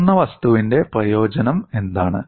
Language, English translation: Malayalam, What is the advantage of a brittle material